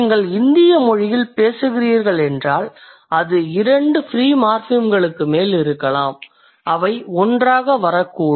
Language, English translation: Tamil, If you are speaking in Indian language, it could be more than one, more than two free morphemes which may come together